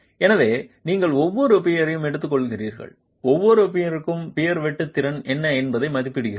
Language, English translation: Tamil, So you take each peer and for each peer estimate what is the shear capacity of the peer